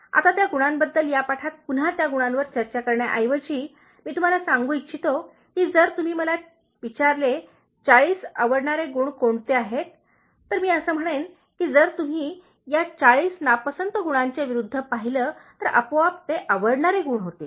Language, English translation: Marathi, Now, those qualities, instead of like discussing those qualities again in this lesson, I want to tell you that if you ask me what are 40 likable qualities, I would say that if you look at the opposite of these 40 dislikable qualities, automatically they become the likable qualities